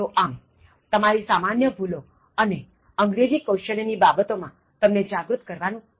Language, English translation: Gujarati, So, that is the aim of creating an awareness in terms of common errors and overall to improve your English Skills